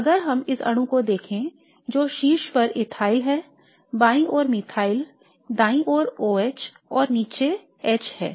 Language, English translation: Hindi, So if I have to look at this molecule there is ethyl on the top, methyl on the left, oh h on the right and H below